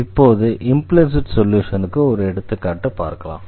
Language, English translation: Tamil, And therefore, this is called the implicit solution